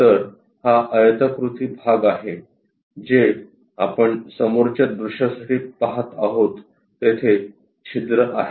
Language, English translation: Marathi, So, this will be that rectangular portion what we see for the front view holes are there